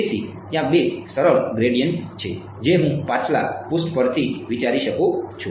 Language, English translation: Gujarati, So, there are two simple gradients I can think of from the previous page